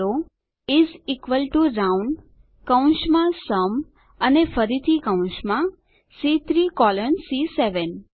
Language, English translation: Gujarati, Type is equal to ROUND,open brace SUM and again within braces C3 colon C7